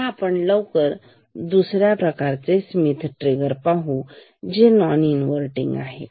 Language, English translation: Marathi, So, now let us quickly see another type of Schmitt trigger, which is non inverting type